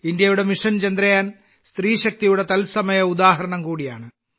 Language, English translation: Malayalam, India's Mission Chandrayaan is also a live example of woman power